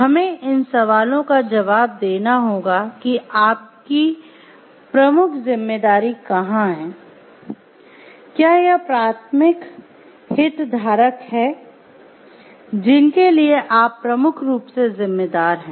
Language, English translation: Hindi, We have to answer these questions of where does your major responsibility lie, is it to who are the primary stakeholders to whom you are majorly responsible